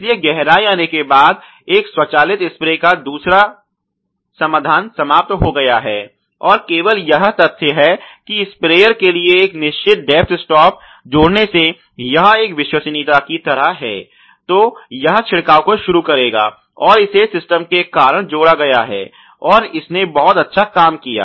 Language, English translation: Hindi, So, therefore, the second solution of an automatic spray as the depth has come was eliminated and only the fact that adding a positive depth stop to the sprayer that is you know it is like a full proofing then it will starts the spraying that was sort of added due to the system ok and it worked out the very well